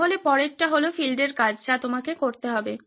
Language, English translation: Bengali, So the next is the field work that you need to be doing